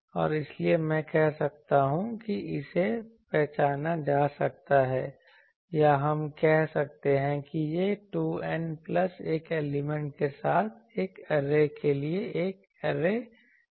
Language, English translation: Hindi, And so, I can say that it can be identified or we can say that this is the array factor for an array with 2 N plus 1 elements